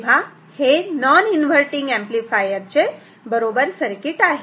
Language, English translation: Marathi, So, this is the correct non inverting amplifier